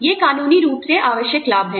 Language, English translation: Hindi, These are legally required benefits